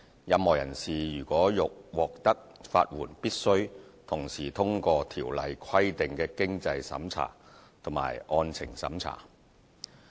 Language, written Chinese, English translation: Cantonese, 任何人士如欲獲得法援，必須同時通過《條例》規定的經濟審查及案情審查。, To qualify for legal aid a person is required to satisfy both the means test and merits test as provided by the Ordinance